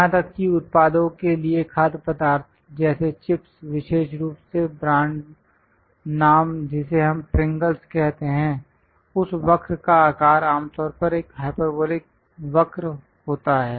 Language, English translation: Hindi, Even for products food products like chips, especially the brand name we call Pringles; the shape of that curve forms typically a hyperbolic curve